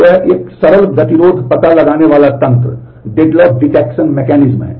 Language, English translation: Hindi, So, this is a simple deadlock detection mechanism